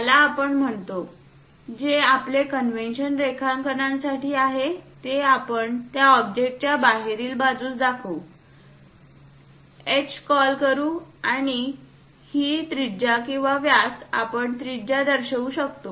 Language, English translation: Marathi, Let us call this one this; our convention is in drawing we will show it exterior to that object, let us call H and this one radius or diameter we can show some radius